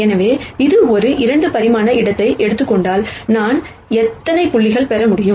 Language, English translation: Tamil, So, this is like saying, if I take a 2 dimensional space how many points can I get